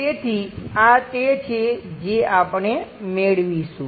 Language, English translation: Gujarati, So, this is the thing what we will get it